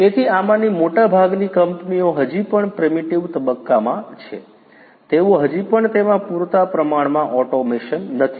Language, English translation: Gujarati, So, most of this companies are still in the primitive stages they are they still do not have you know adequate automation in them